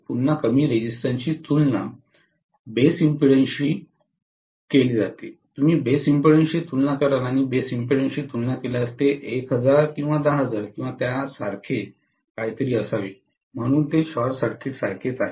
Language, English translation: Marathi, Low resistance again is compared to the base impedance, you will compare it with the base impedance and compared to base impedance it should be 1,000 or one 10,000 or something like that, so it is as good as a short circuit